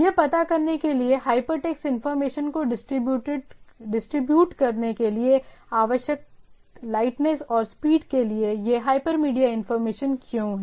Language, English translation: Hindi, So, in order to address that, what it requires the lightness and for the speed necessary for distribution hypertext information, why this hypermedia type of information